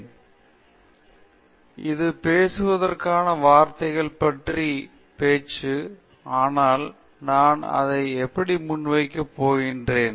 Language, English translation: Tamil, So, this is a talk about talks so to speak and so that’s how I am going to present it